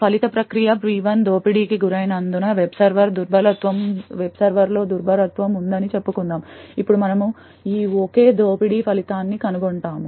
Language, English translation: Telugu, Let us say that there is a vulnerability in the web server as a result process P1 gets exploited, now we will trace the result of this single exploit